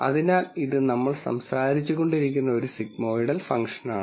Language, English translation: Malayalam, So, this is a sigmoidal function that we have been talking about